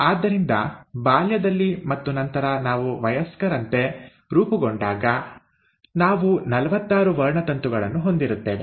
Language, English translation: Kannada, So then, we are formed as a child and then as an adult, we end up having forty six chromosomes